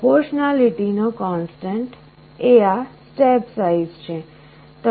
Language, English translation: Gujarati, The constant of proportionality is this step size